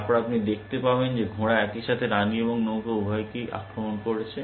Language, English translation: Bengali, Then you can see that knight is attacking both the queen and the rook at the same time